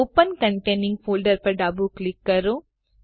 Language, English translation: Gujarati, Left click Open containing folder